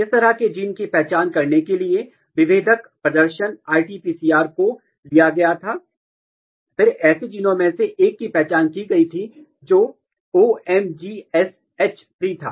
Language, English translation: Hindi, To identify such kind of gene, the differential display RT PCR was taken up and then one of such genes was identified which was OsMGH3